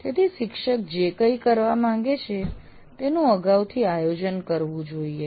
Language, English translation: Gujarati, So, anything a teacher wants to do, it has to be planned in advance